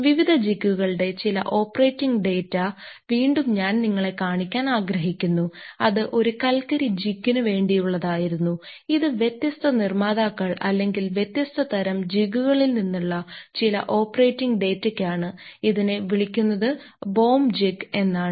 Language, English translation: Malayalam, Somehow the operating data of various jig types, again I would like to show you that was for a coal jig and this is for some of the ah operating data from some of the ah jigs by different manufacturers at a or the different types, its called the baum jig